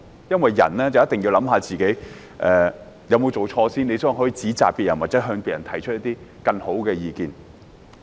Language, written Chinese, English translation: Cantonese, 因為人一定要先反思自己有沒有做錯，然後才可以指責別人，或向別人提出更好的意見。, The reason is that one must first conduct self - reflection before blaming others or providing better ideas to others